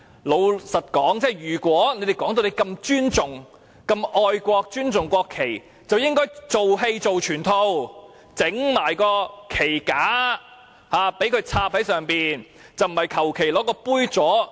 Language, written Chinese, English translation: Cantonese, 老實說，他們說自己這麼愛國和尊重國旗，便應該"做戲做全套"，同時擺放旗架，將旗子插在旗架上，而不是隨便使用杯座。, Frankly if they are so patriotic and have so much respect for the national flag as they said they should carry through the whole show . They should have arranged the flags together with flag stands rather than casually using some glass holders